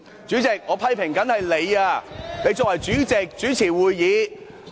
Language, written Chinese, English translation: Cantonese, 主席，我批評的是你，你身為主席主持會議。, President it is you whom I was criticizing . You chair the meeting as the President